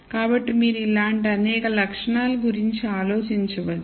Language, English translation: Telugu, So, you can think of many such attributes